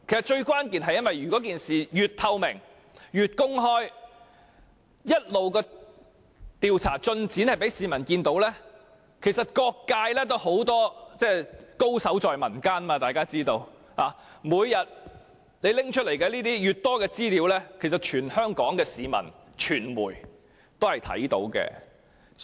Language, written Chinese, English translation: Cantonese, 最關鍵的是，只要我們以透明公開的方式進行調查，並一直讓市民見證調查進展，各界......大家都知道，高手在民間；有關方面每天提供的相關資料，全香港的市民和傳媒都看得到。, What is most crucial is that as long as we conduct a transparent and open inquiry and keep allowing the public to witness the progress of the inquiry all sectors As everyone knows the knowledgeable are in the community; all Hong Kong people and the media can see the relevant information provided by the parties concerned every day